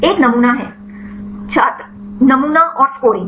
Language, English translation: Hindi, One is a sampling Sampling and scoring